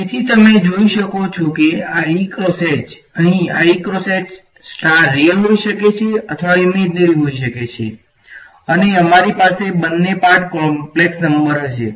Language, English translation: Gujarati, So, you can see that the power it this E cross H term over here E cross H star can be real can be imaginary right and we will have both parts the complex number